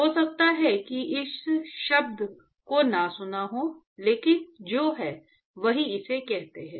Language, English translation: Hindi, May not have heard this term, but it is what, that is what it is called as